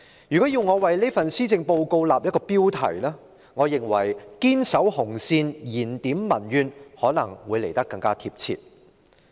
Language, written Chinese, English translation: Cantonese, 如果要我為這份施政報告訂立一個標題，我認為"堅守紅線燃點民怨"會來得更貼切。, If I were to draft a title for this Policy Address I would consider Defending the Red Line Rekindling Public Discontent more pertinent